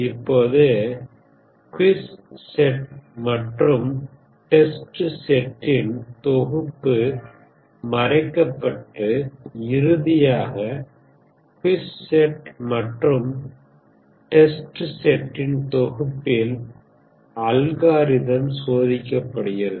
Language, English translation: Tamil, Now the quiz set and the test set these are hidden and finally, the algorithm is tested on the quiz and test set